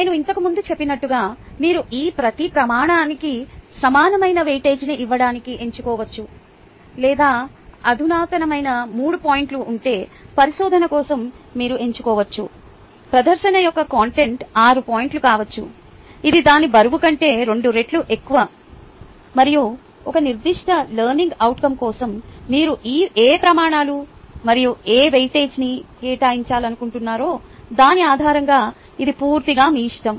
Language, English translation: Telugu, as i pointed earlier that you could choose to give equal weightage to each of these criterias or you can choose that for research, if the sophisticated is three points, the content of presentation could very well be six points, which is twice the weight age of it, and that is totally up to you based on what criterias and what weightage you would like to ah assign for a particular assessment